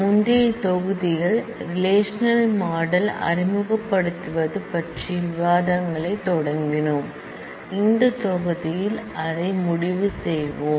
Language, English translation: Tamil, In the previous module, we started discussions on introducing relational model we will conclude that in this module